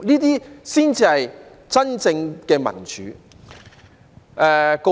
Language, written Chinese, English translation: Cantonese, 這才是真正民主。, This is rather the true meaning of democracy